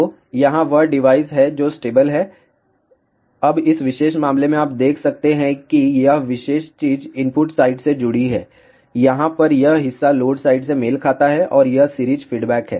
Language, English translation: Hindi, So, here is that device which is stable, now in this particular case you can see that this particular thing is connected to the input side, this portion over here corresponds to the load side and this is the series feedback